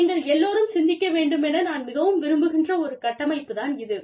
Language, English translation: Tamil, And, this is the framework, that i really want you to think about